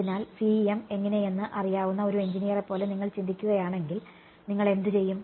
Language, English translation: Malayalam, So, if you are thinking like an engineer who knows CEM how, what would you do